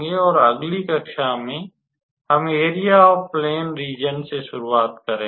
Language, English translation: Hindi, And in the next class, we will start with our area plane regions